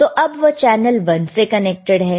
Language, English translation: Hindi, So, right now, it is connected to channel one, right